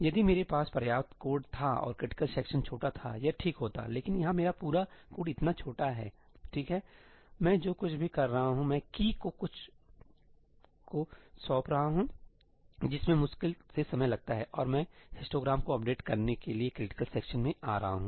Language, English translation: Hindi, If I had a substantial code and the critical region was small, that would have been okay, but here my entire code is so small, right, all I am doing is, I am assigning something to key which hardly takes any time and then I am getting into a critical region to update the histogram